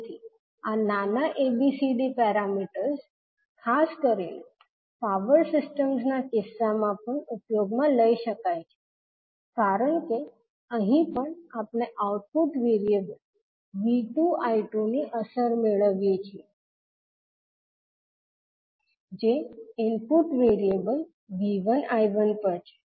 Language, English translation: Gujarati, So these small abcd parameters can also be utilised in case of the transmission lines particularly the power systems because here also we get the impact of output variables that is V 2 I 2 on the input variables that is V 1 I 1